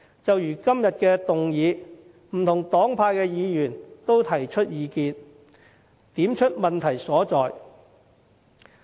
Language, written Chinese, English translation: Cantonese, 就如今天的議案，不同黨派的議員都提出意見，點出問題所在。, Members from various political parties and groupings have put forth their views on the motion today and hit the crux of the problem